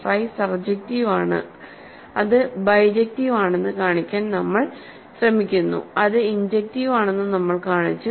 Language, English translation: Malayalam, Phi is surjective, we are trying to show that it is bijective; so, we have shown its injective